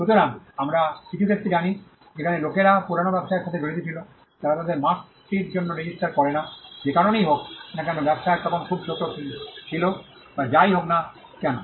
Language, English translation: Bengali, So, we know some cases where people involved in old businesses, they do not register their mark for, whatever reason either the business was too small then or whatever